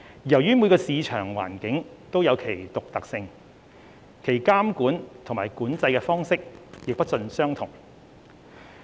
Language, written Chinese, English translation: Cantonese, 由於每個市場環境都有其獨特性，其監控及管制的方式亦不盡相同。, Since each market is unique the approach of monitoring and control in each market also varies